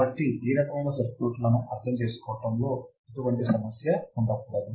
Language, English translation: Telugu, So, there should be no problem in understanding these kind of circuits